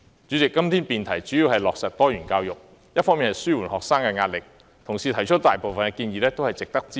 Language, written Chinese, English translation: Cantonese, 主席，今天的辯題主要是落實多元教育，紓緩學生的壓力，同事提出的大部分建議都值得支持。, President todays motion debate is on implementing diversified education to alleviate the pressure on students . Most of the proposals put forward by colleagues are worth our support